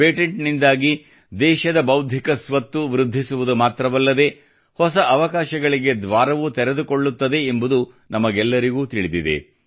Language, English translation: Kannada, We all know that patents not only increase the Intellectual Property of the country; they also open doors to newer opportunities